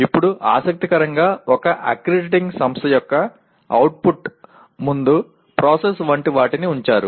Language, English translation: Telugu, Now interestingly even an accrediting organization put something like the process before the output